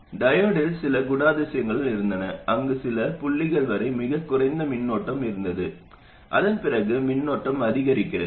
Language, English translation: Tamil, The diode also had some characteristic where there was a very small current here up to some point and after that the current increases